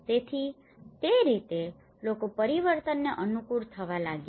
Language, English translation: Gujarati, So in that way, people started adapting to the change